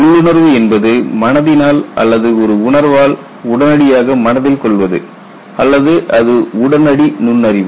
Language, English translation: Tamil, Intuition is immediate apprehension by the mind or by a sense or it is an immediate insight